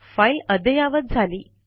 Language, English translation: Marathi, It has been updated